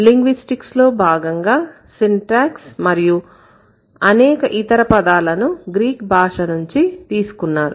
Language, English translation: Telugu, As many other words from linguistics syntax is also a word that has been derived from Greek